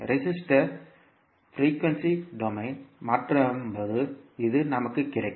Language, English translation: Tamil, So, this we get when we convert resister into frequency s domain